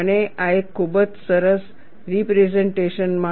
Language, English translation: Gujarati, And this is a very nice piece of a representation